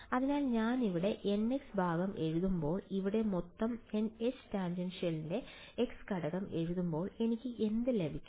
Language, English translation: Malayalam, So, when I write down the n x part over here, the x component of the total H tan over here, what do I get